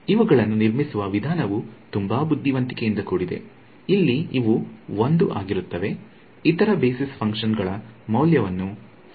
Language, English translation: Kannada, So, the way these are constructed is very clever again the place where this there is 1, the other basis function has a value 0